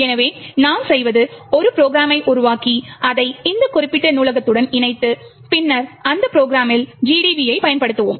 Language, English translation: Tamil, So, what we do is that, create a program link it to this particular library and then use GDB on that program